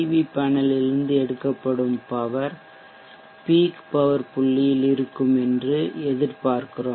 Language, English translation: Tamil, So we expect the power drawn from the PV panel to be at the peak power point